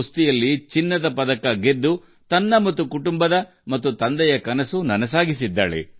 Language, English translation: Kannada, By winning the gold medal in wrestling, Tanu has realized her own, her family's and her father's dream